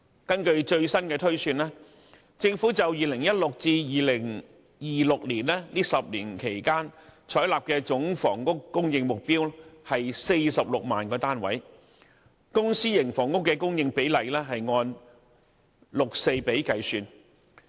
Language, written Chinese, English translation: Cantonese, 根據最新的推算，政府就2016年至2026年這10年期採納的總房屋供應目標為46萬個單位，公、私營房屋的供應比例按六四比計算。, Based on the latest projection the Government has adopted a total housing supply target of 460 000 units for the 10 - year period from 2016 to 2026 with a public - private split of 60col40